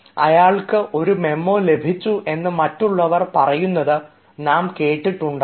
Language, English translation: Malayalam, we have heard people saying he has got a memo